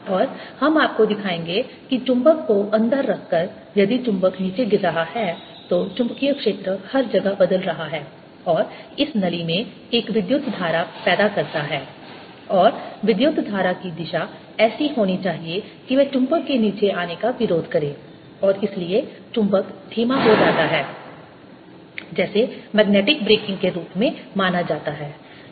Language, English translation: Hindi, if the magnet is falling down, the magnetic field everywhere is changing and that produces a current in this tube, and the direction of current should be such that it opposes the coming down of the magnet and therefore magnet slows down, what is known as magnetic braking